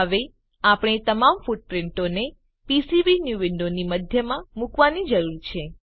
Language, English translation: Gujarati, Now we need to place all footprints in centre of PCBnew window